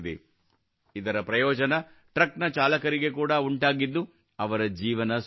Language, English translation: Kannada, Drivers of trucks have also benefited a lot from this, their life has become easier